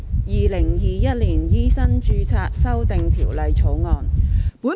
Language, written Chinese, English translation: Cantonese, 《2021年醫生註冊條例草案》。, Medical Registration Amendment Bill 2021